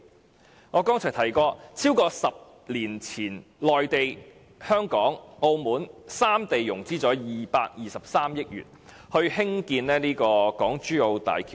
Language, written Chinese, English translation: Cantonese, 正如我剛才提到，在10多年前，內地、香港及澳門三地融資合共223億元興建港珠澳大橋。, As I mentioned just now more than 10 years ago the three regions of the Mainland Hong Kong and Macao raised a total of RMB22.3 billion to construct HZMB